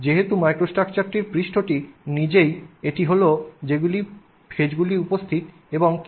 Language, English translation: Bengali, Now since the face and the microstructure itself is what faces are present and how they are distributed, right